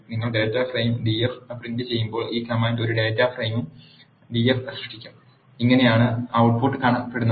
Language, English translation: Malayalam, This command will create a data frame d f when you print the data frame df, this is how the output looks